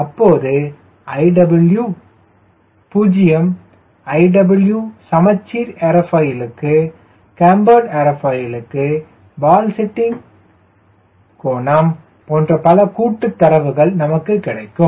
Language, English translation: Tamil, then i will get various combinations with iw zero, without i w symmetric aerofoil, cambered aerofoil, tail setting angle